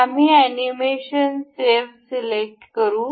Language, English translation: Marathi, We will select save animation